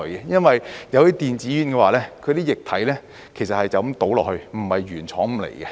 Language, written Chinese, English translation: Cantonese, 因為電子煙的液體其實是就這樣倒進去，而不是原廠送來。, It is because in fact the liquid of e - cigarettes is simply filled into the device instead of being supplied by the original manufacturer